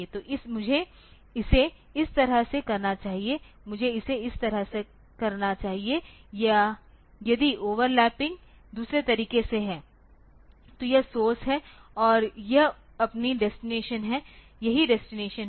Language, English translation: Hindi, So, I should do it like this I should do it like this or if the overlapping is in the other way so, this is the source and this is your destination this is the destination